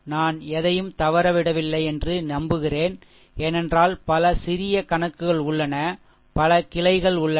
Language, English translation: Tamil, Hope I have not missed anything, because so many short problems are there so many ah branches are there